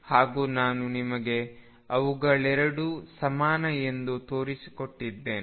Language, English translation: Kannada, And what I have shown you is that both are equivalent both are equivalent